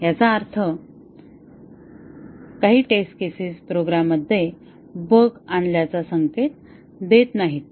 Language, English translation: Marathi, That means, some test cases fail signaling that a bug has been introduced in the program